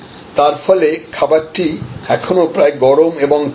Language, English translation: Bengali, So, that the food is still almost hot and fresh